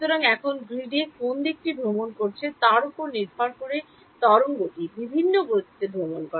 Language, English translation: Bengali, So, now the wave travels at different speeds depending on which direction it is travelling in the grid